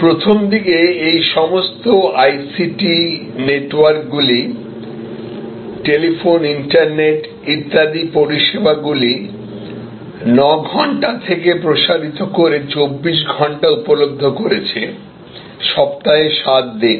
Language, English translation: Bengali, So, initially all these ICT networks, telephone, internet, etc expanded the availability of service from 9 to 7 or 9, 11; it became 24 hour service, 7 days a week